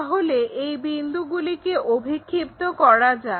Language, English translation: Bengali, So, project these points